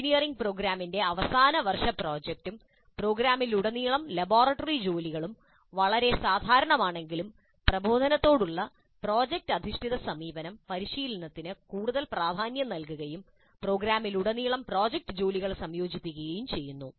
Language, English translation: Malayalam, While the final year project of an engineering program and laboratory work throughout the program are quite common, project based approach to instruction places much greater emphasis on practice and incorporates project work throughout the program